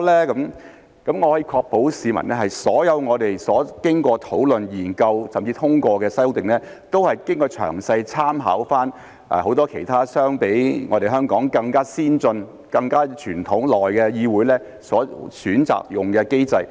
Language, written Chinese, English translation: Cantonese, 我可以向市民確保，所有我們經過討論、研究甚至通過的修訂，都是詳細參考了很多其他相比香港更加先進、傳統更加悠久的議會所選擇採用的機制。, I can assure the public that regarding all the amendments that we have discussed studied and even passed reference has been meticulously drawn from the mechanisms that many other legislatures which are more advanced and have a longer tradition than Hong Kong have chosen to adopt